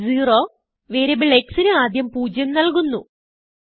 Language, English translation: Malayalam, $x=0 initializes the value of variable x to zero